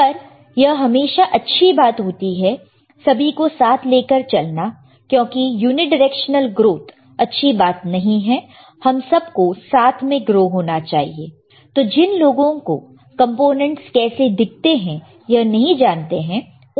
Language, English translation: Hindi, But it is always good to take all the students together, unidirectional growth is not good we should grow together, and that is why people who do not know how components looks like, right